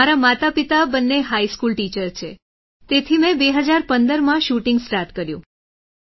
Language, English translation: Gujarati, Both my parents are high school teachers and I started shooting in 2015